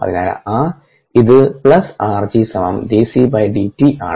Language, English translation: Malayalam, therefore, plus r four equals d, b, d, t